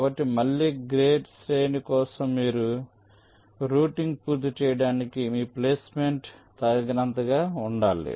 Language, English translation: Telugu, so again for gate array, your placement should be good enough so that your routing can be completed